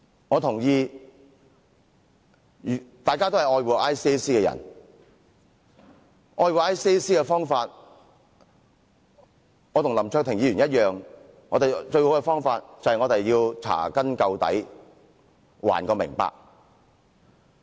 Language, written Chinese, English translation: Cantonese, 我認同大家都是愛護 ICAC 的人，而愛護 ICAC 的方法，跟林卓廷議員一樣，我認為最佳方法便是查根究底，得個明白。, I believe every one of us cherishes ICAC and the best way to cherish it which is the same way Mr LAM Cheuk - ting adopted is to find out the truth